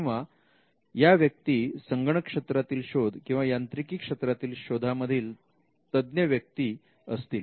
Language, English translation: Marathi, Or they could be specialized in computer related inventions or in mechanical inventions